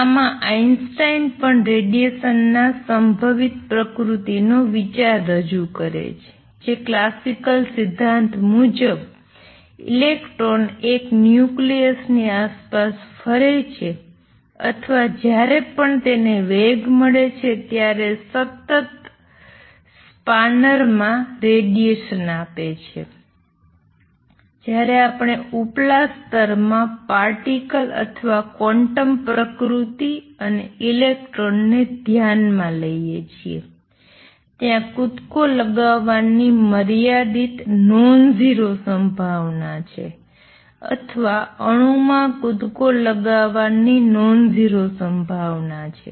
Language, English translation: Gujarati, In this Einstein also introduce the idea of probabilistic nature of radiation that is in classical theory electron revolves around a nucleus or whenever it accelerates it just gives out radiation in a continuous spanner, when we consider the particle or quantum nature and electron in an upper state has a finite nonzero probability of making a jump or the atom has a non zero probability of making a jump this process is statistical and described by probability